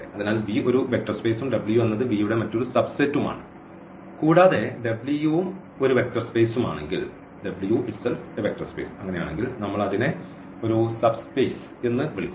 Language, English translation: Malayalam, So, V is a vector space and W is another subset of V and if V W is also a sub also a vector space in that case we call that W is a subspace